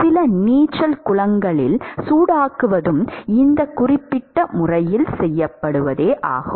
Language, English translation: Tamil, In some of the swimming pools, the heating is also done in a certain way